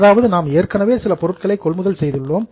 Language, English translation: Tamil, That means we have already purchased some goods